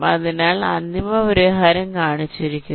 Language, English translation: Malayalam, so the final solution is shown